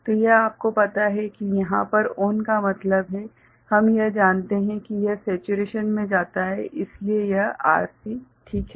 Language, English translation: Hindi, So, this will be in you know we here ON means, we are it goes into you know saturation so, this Rc alright